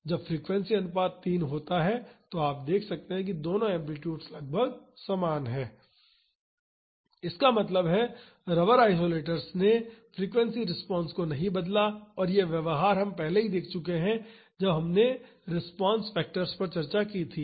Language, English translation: Hindi, When the frequency ratio is 3, you can see that both the amplitudes are almost same; that means, the rubber isolators did not change the frequency amplitude and this behavior we have already seen when we discussed the response factors